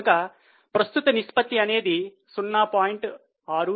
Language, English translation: Telugu, So, current ratio is 0